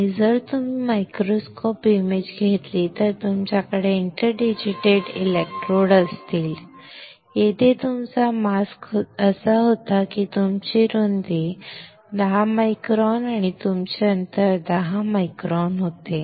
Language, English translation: Marathi, And if you take the microscope image then you will have interdigitated electrodes, here your mask was such that your width was 10 micron and your spacing was 10 micron